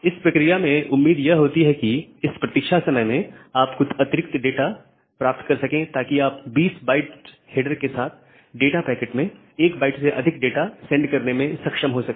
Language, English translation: Hindi, And your hope is that by that time you may get some more data and you will be able to send a packet where with 20 kilobyte of sorry 20 byte of header you will have more than 1 byte of data